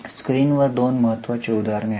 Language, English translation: Marathi, Two important examples are there on the screen